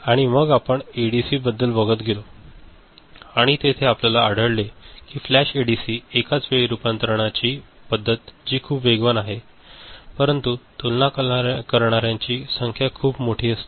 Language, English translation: Marathi, And then we moved to ADC and we found that flash ADC the simultaneous conversion method that is very fast, but the number of comparators required is very large ok